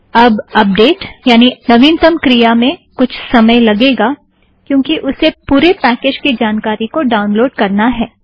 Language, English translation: Hindi, So now the update process will take time because it has to download the entire package information